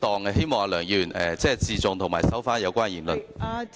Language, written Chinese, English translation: Cantonese, 我希望梁議員自重，並收回有關言論。, I hope Mr LEUNG can act with self - respect and withdraw his remarks